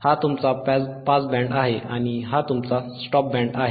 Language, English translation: Marathi, tThis is your Pass Band and this is your Stop Band this is your Stop Band correct